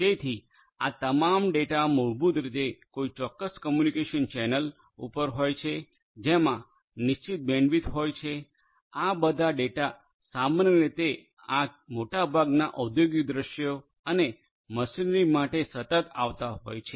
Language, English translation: Gujarati, So, the all this data are basically over a specific communication channel which has a fixed bandwidth, all these data continuously typically for most of these industrial scenarios and the machinery